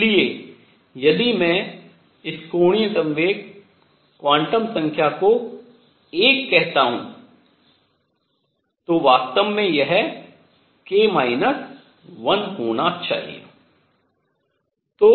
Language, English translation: Hindi, So, if I call this angular momentum quantum number l, it should be actually k minus 1